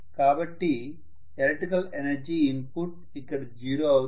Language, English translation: Telugu, So the electrical energy input is literally zero